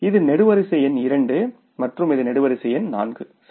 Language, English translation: Tamil, This is the column number 2 and this is the column number 4